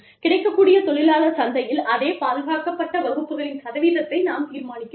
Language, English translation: Tamil, Then, we determine the percentage of those, same protected classes, in the available labor market